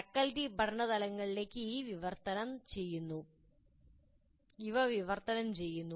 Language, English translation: Malayalam, These are translated into learning outcomes by the faculty